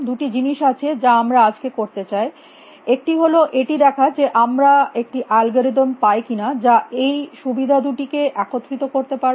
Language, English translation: Bengali, There two things we want to do today one is try to see if we can find an algorithm which will combine these two plus points